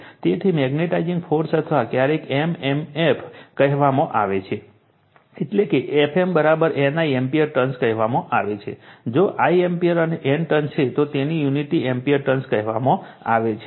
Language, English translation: Gujarati, So, your magnetizing force or sometimes we call m m f that is your F m is equal to say N I ampere turns; if I is ampere and N is turn, so its unity call ampere turn